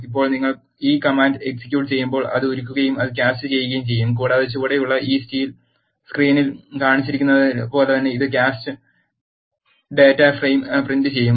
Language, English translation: Malayalam, Now when you execute this command, it will melt and it also cast and it will print the casted data frame as shown in this screen below